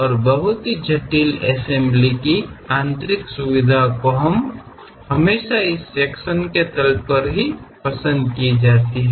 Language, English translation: Hindi, And these interior features of very complicated assemblies are always be preferred on this sectional planes